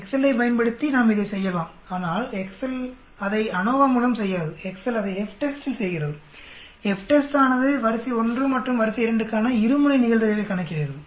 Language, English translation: Tamil, We can do it using Excel also but Excel does not do it through ANOVA,Excel does it just by the FTEST, FTEST is nothing but it calculates the two tailed probability for array 1 and array 2